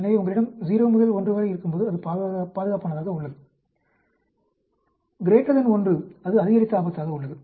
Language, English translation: Tamil, So, when you have 0 to 1, it is protective, greater than 1 it is a increased risk